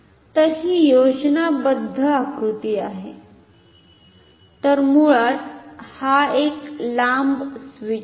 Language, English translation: Marathi, So, this is schematic diagram so, basically this is a flat I mean longer switch